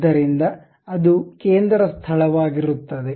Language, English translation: Kannada, So, that it will be place center